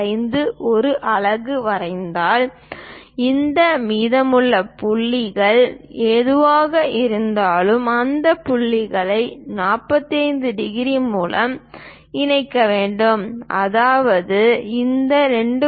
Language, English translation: Tamil, 5, whatever these leftover points, those points has to be connected by 45 degrees that means, once I identify this 2